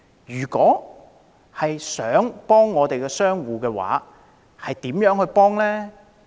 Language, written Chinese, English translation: Cantonese, 如想真正幫助商戶，又應該怎樣做？, What should we do if we wish to offer genuine help to business operators?